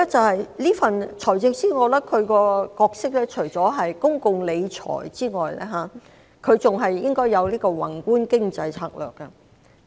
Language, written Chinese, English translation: Cantonese, 第二，財政司司長除管理公共財政外，還應該要有宏觀的經濟策略。, Secondly apart from managing public finances the Financial Secretary should also adopt macroeconomic strategies